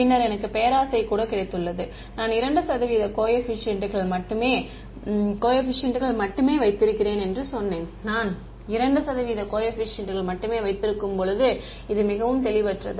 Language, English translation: Tamil, Then I have got even greedier, I said let me keep only 2 percent coefficients right; When I keep only 2 percent coefficient this is very fuzzy